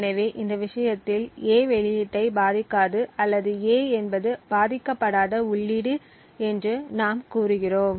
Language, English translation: Tamil, Thus, in this case we say that A does not affect the output O or we also say that A is an unaffecting input